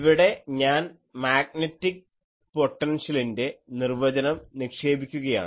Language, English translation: Malayalam, Here, I am putting that definition of magnetic potential